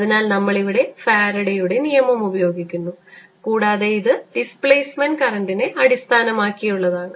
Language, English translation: Malayalam, so we use this source, faraday's law, and this was based on displacement current